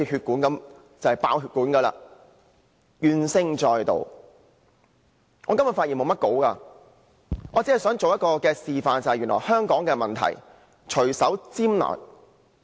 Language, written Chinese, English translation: Cantonese, 我今天沒有擬備發言稿，我只想示範一下原來香港的問題可以隨手拈來的。, Having prepared no script today I simply try to demonstrate how we can casually list the problems in Hong Kong